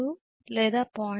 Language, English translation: Telugu, 2 or 0